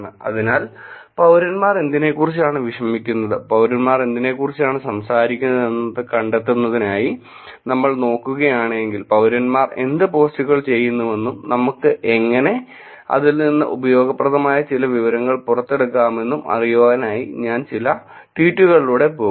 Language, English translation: Malayalam, So, if you look at the concept of finding out what citizens are worried about, what citizens are talking about, I will go through some tweets what we so to say in terms of actually looking at what posts the citizens are doing, how we can actually take out some useful information from these posts